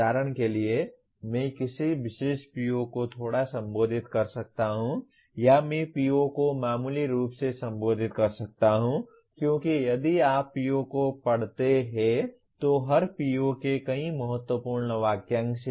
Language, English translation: Hindi, For example I may be slightly addressing a particular PO or I may be addressing a PO moderately because if you read the PO there are every PO has several key phrases